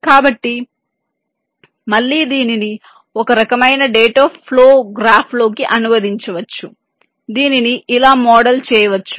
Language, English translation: Telugu, so again, this can be translated into ah, some kind of a data flow graph which can be model like this